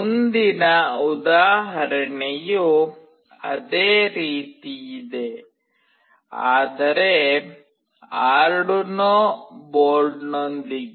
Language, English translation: Kannada, The next example is very similar, but with Arduino board